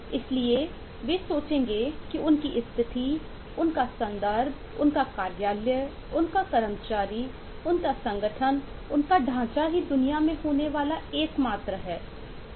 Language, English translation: Hindi, so they will think that their situation, their context, their office, their employee, their organisation structure is the only one of the kind that can happen in the world